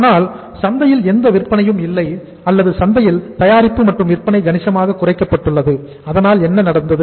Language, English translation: Tamil, But because there is no sail in the market or the sale of the product in the market has been significantly reduced so what happened